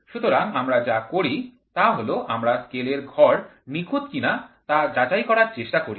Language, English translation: Bengali, So, what we do is we try to check whether the graduations in the scale are perfect